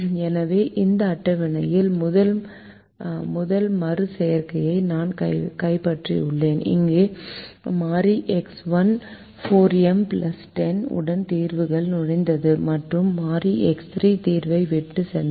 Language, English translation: Tamil, so i capture the first alteration in the stable where variable x one enter the solution with four m plus ten, where variable x one enter the solution